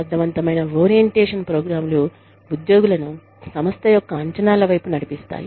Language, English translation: Telugu, Effective orientation programs orients, employees towards, the expectations of the organization